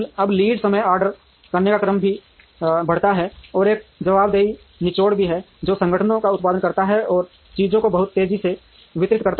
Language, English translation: Hindi, Now, the order to order lead time also increases, and there is also a responsiveness squeeze which makes organizations produce, and deliver things much faster